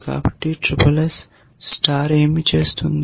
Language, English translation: Telugu, So, what does SSS star do